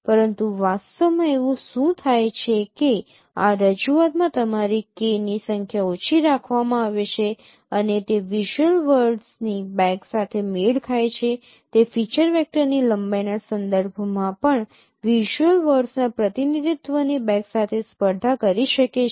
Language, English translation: Gujarati, But in reality what happens that in this representation your number of K is kept small and that is how it matches with the bag of visual word it can compete with the bag of visual words representation also in terms of the length of a feature vector